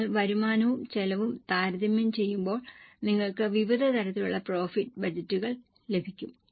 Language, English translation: Malayalam, When you compare the revenue with cost, you will get various types of profit budgets